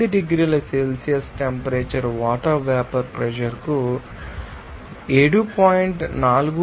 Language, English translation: Telugu, 8 degrees Celsius the vapor pressure of water is given us 7